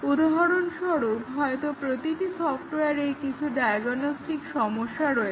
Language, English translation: Bengali, For example, every software might have some diagnostic programs